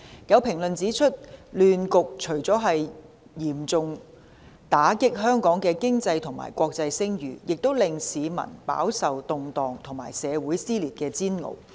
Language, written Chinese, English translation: Cantonese, 有評論指出，亂局除了嚴重打擊香港的經濟和國際聲譽，亦令市民飽受動盪和社會撕裂的煎熬。, There are comments that apart from dealing a heavy blow to the economy and international reputation of Hong Kong the chaotic situation has also resulted in members of the public being tormented by the turmoil and social dissension